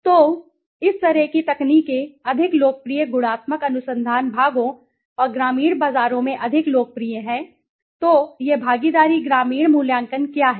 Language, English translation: Hindi, So, those kind of techniques are more popular qualitative research parts and more popular in rural markets, so what is this participatory rural appraisal